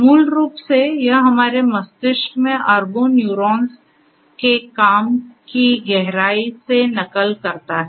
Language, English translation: Hindi, Basically, it mimics the working function of billions of neurons in our brain deep